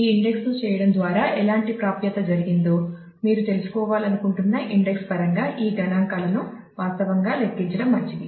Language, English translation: Telugu, So, it is good to actually compute that statistics in terms of the index that you want to know that by doing this index what kind of accesses have happened